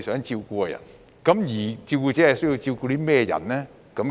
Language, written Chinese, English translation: Cantonese, 照顧者需要照顧甚麼人呢？, What types of persons do carers need to take care of?